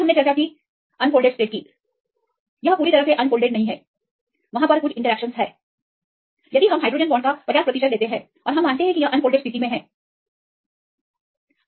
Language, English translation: Hindi, Then we discussed; the unfolded state not completely unfolded, there are some interactions to account that if we take 50 percent of hydrogen bonds; we assume they are in the unfolded state and this is the assumption